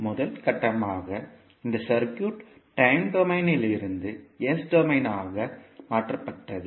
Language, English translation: Tamil, So these three steps, first step was the transformation of this circuit from time domain into s domain